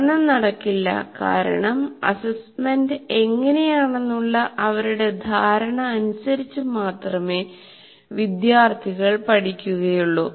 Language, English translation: Malayalam, Learning will not take place because students will only learn as per their perception of what assessment is